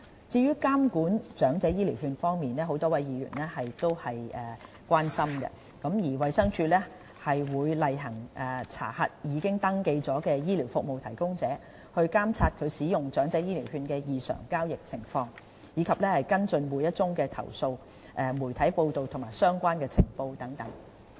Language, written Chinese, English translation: Cantonese, 至於監管長者醫療券方面，多位議員都表達關注。衞生署會例行查核已登記的醫療服務提供者，監察使用長者醫療券的異常交易情況，以及跟進每宗投訴、媒體報道和相關情報等。, As regards the monitoring of EHCV a matter about which a number of Members have expressed concern the Department of Health DH conducts routine inspections of registered providers of medical services monitors aberrant patterns of transactions relating to the use of EHCV and follows up every complaint media reports and relevant intelligence etc